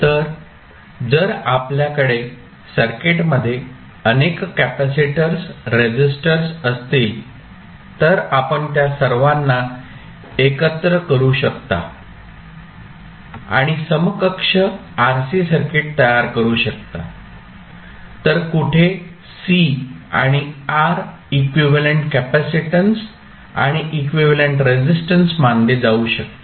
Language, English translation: Marathi, So, if you have multiple capacitors multiple resistors in the circuit, you can club all of them and create an equivalent RC circuit, so where c and r can be considered as an equivalent capacitance and equivalent resistance